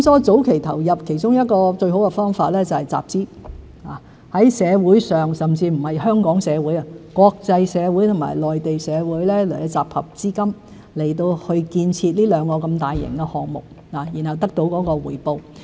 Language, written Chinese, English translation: Cantonese, 早期投入其中一個最好的方法是集資，在社會上——不只在香港社會，還可在內地以至國際社會——集合資金，以建設這兩項如此大型的項目，然後得到回報。, One of the best ways for us to sow early is to raise funds in the community―not only in the Hong Kong community but also in the Mainland community and the international community―for developing these two projects of such a large scale . Then we can reap the benefits . And there comes another benefit